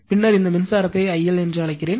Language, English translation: Tamil, Then the power then the your what you call this current is I L